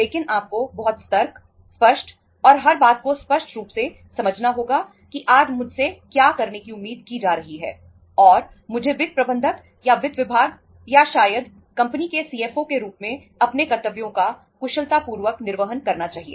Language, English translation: Hindi, But you have to very very say vigilant, clear, and means clearly understanding everything that what I am expected to do today and I should be efficiently discharging my duties as finance manager or part of the finance department or maybe the CFO of the company